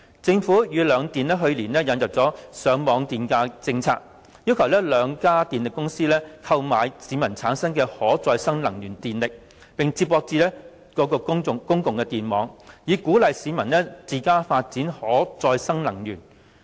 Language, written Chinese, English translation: Cantonese, 政府與兩電去年引入了上網電價政策，要求兩家電力公司購買市民產生的可再生能源電力，接駁至公共電網，以鼓勵市民自家發展可再生能源。, Last year the Government joined hands with the two power companies to introduce the feed - in tariff scheme to encourage the development of renewable energy power generation installations by members of the public . Under the policy the two power companies will connect such installations with the public power grids and purchase the electricity so generated